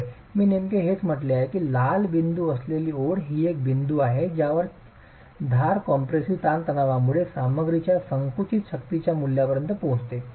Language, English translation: Marathi, Yes, that is exactly what I said that the red dotted line is the point at which the edge compressive stress reaches the value of compresses strength of the material